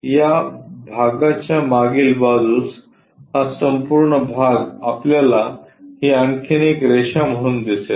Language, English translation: Marathi, Again this part the back side of that this entire part we will see as one more line that is this